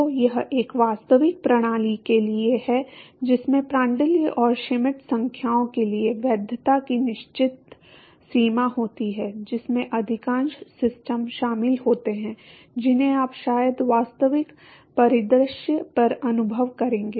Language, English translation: Hindi, So, this is for a real system with certain range of validity for Prandtl and Schmidt numbers which sort of encompasses most of the systems that you would probably experience on the real scenario ok